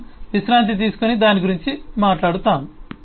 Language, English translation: Telugu, we will take a brake and talk about that